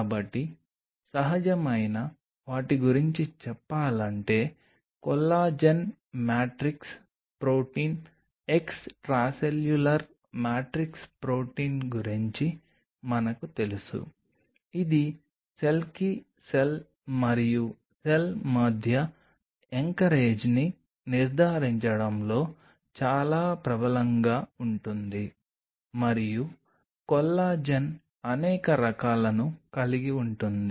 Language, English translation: Telugu, So, talking about the natural ones to start off with we are aware about Collagen matrix protein extracellular matrix protein which is very dominant in ensuring the anchorage between cell to cell and cell to other cell type and collagen has several types